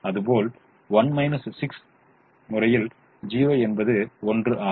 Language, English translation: Tamil, so one minus four times zero is one